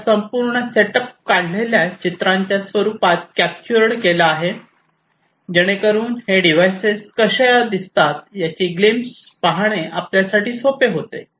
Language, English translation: Marathi, I you know I have captured this entire setup in the form of pictures taken so that it becomes very easier for you to have a glimpse of what how these devices look like and this is these pictures